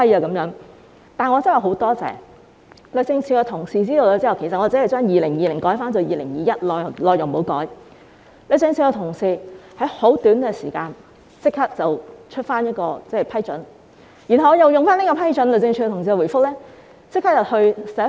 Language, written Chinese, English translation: Cantonese, 但是，我真的很感謝，律政司的同事知道我只是把2020年改為2021年，內容不改，他們在很短的時間立即發出批准，然後我便以此批准立即去信行政長官。, But I am truly grateful to the officers at DoJ . When they knew that I only changed the year of the Bill from 2020 to 2021 without changing the content of the Bill they issued the approval within a very short time . With the approval from DoJ I immediately wrote to the Chief Executive